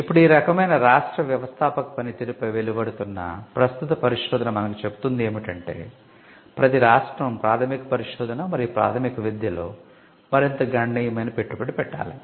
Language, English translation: Telugu, Now, this kind of tells us the current research that is coming out on the entrepreneurial function of the state tells us that there has to be a much stronger and substantial investment into research, into basic research and basic education by the state